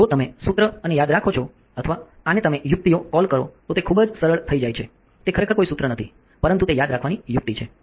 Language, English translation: Gujarati, So, if you if you remember this formulas or this what you call tricks, then it becomes very easy it is not really a formula, but its a trick to remember